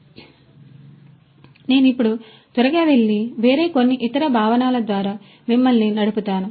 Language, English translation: Telugu, So, let me now go quickly and you know run you through some of the different other concepts